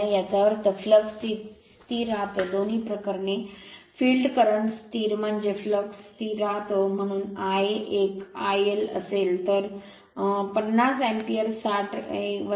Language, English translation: Marathi, That means flux remain constant both the cases field current constant means the flux remain constant therefore, I a 1 will be your I L minus I f, so 59 ampere, 60 minus 1